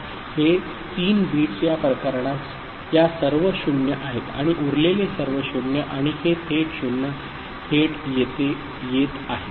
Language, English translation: Marathi, This 3 bits so, these are all 0’s in this case and rest all 0 and this 0 is directly coming